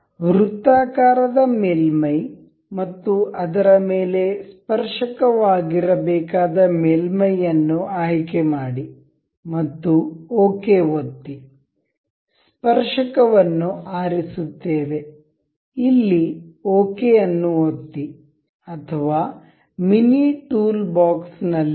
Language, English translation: Kannada, Select the circular surface and the surface it has to be tangent upon, and we will click ok, selecting tangent, we click ok here or either in the mini toolbox, finish